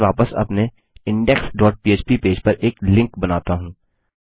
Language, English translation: Hindi, Let me create a link back to our index dot php page